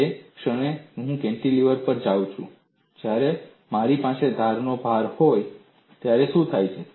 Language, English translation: Gujarati, The moment I go to a cantilever, when I have an edge load, what happens